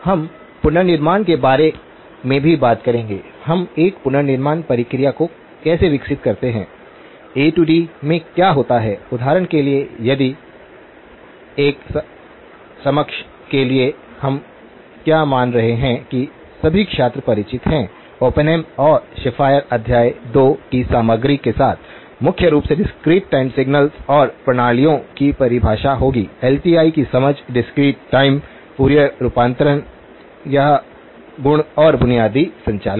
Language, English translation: Hindi, We will also talk about a, some aspects of how do we develop a reconstruction process, what happens in a D to A for example if that for an understanding, what we are assuming is that all the students are familiar with the; with what contents of Oppenheim and Schafer chapter 2, primarily that would be the definitions of discrete time signals and systems, understanding of the LTI, the discrete time Fourier transform, it’s properties and basic operations